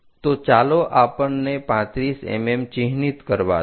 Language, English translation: Gujarati, So, let us mark 35 mm scale